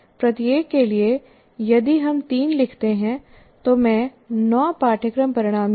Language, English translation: Hindi, For each one if I write three, I end up writing nine course outcomes